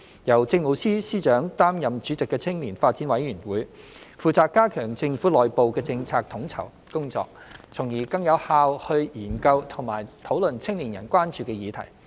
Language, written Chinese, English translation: Cantonese, 由政務司司長擔任主席的青年發展委員會，負責加強政府內部的政策統籌工作，從而更有效地研究和討論青年人關注的議題。, The Youth Development Commission YDC chaired by the Chief Secretary for Administration is tasked to enhance policy coordination within the Government thereby enabling more effective examination and discussion of issues of concern to young people